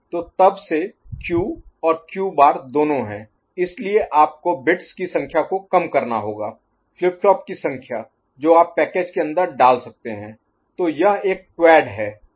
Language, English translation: Hindi, So, then since both Q and Q bar are there, so you have to sacrifice the number of bits, number of flip flops that you can put inside the package ok; so it is a quad